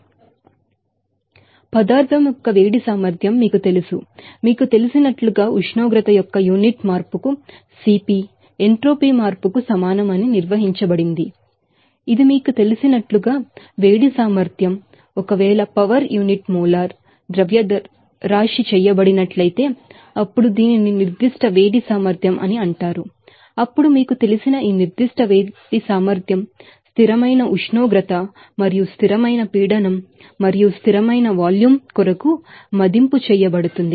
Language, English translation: Telugu, And heat capacity of the material this is you know, are defined by that CP is equal to what is the change of entropy per unit change of temperature that will be called as you know, heat capacity and if it is done power unit molar mass, then it will be called a specific heat capacity as similarly, this specific heat capacity you know be assessed for constant temperature and constant pressure and also constant volume